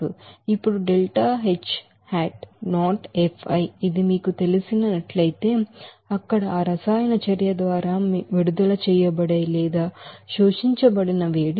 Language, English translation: Telugu, Now this , if I consider that the you know it is the heat released or absorbed by that chemical reaction there